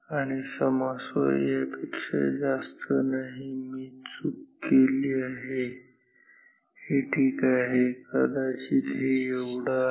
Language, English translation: Marathi, And, sorry not this much I made a mistake this much ok, maybe that is this much